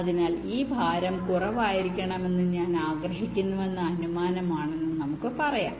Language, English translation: Malayalam, ok, so lets say its an assumption that i want that this weight to be less